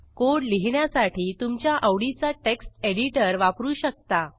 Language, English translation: Marathi, You can use any text editor of your choice to write the code